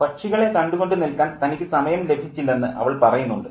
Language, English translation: Malayalam, And she says that I didn't get the time to look at the birds